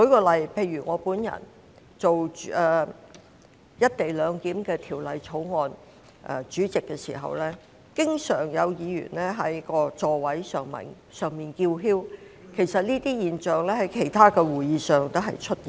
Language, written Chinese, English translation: Cantonese, 例如在我本人擔任有關"一地兩檢"的法案委員會主席時，經常有議員在座位上叫囂，而這種情況其實亦有在其他會議上出現。, For example when I was the Chairman of the Bills Committee formed to study the legislative proposals relating to the co - location arrangement there were always Members speaking loudly at their seats during meetings and this was actually the same trick they played at other meetings